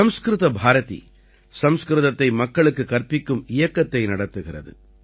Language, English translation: Tamil, 'Sanskrit Bharti' runs a campaign to teach Sanskrit to people